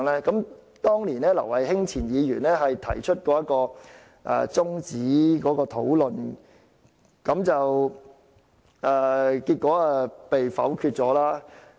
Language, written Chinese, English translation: Cantonese, 當時前立法會議員劉慧卿提出中止討論，結果被否決。, At the time former Member Ms Emily LAU proposed an adjournment of the discussion which was negatived